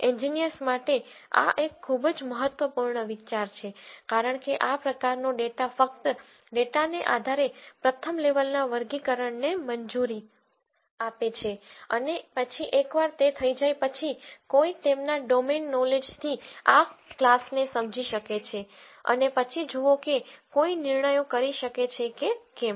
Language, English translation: Gujarati, This is a very important idea for engineers because this kind of allows a first level categorization of data just purely based on data and then once that is done then one could bring in their domain knowledge to understand these classes and then see whether there are some judgments that one could make